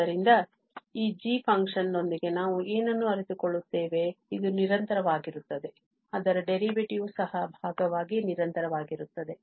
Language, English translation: Kannada, So, what we realize that with this function g, which is continuous, its derivative is also piecewise continuous